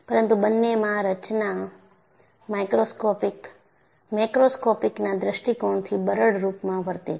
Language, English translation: Gujarati, But both the structure, behaves in a brittle fashion from a macroscopic point of view